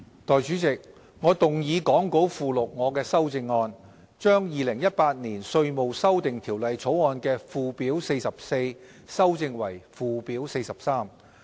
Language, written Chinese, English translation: Cantonese, 代理主席，我動議講稿附錄我的修正案，把《2018年稅務條例草案》的"附表 44" 修正為"附表 43"。, Deputy Chairman I move my amendments as set out in the Appendix to the Script to amend Schedule 44 to the Inland Revenue Amendment Bill 2018 Bill to Schedule 43